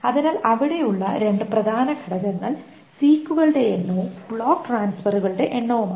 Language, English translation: Malayalam, So, the two important parameters that are there is the number of six and the number of block transfer